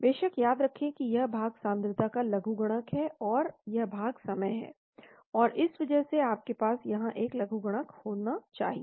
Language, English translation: Hindi, Of course remember this portion is logarithm of concentration, and this portion is time because of this know, so you need to have a logarithm here